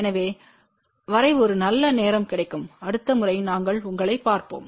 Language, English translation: Tamil, So, till then have a good time we will see you next time